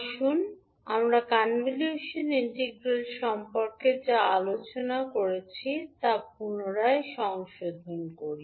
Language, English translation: Bengali, So this is what we discussed about the convolution integral